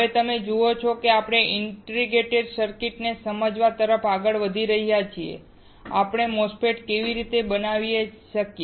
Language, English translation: Gujarati, Now, you see we are moving towards understanding the integrated circuits and how we can fabricate a MOSFET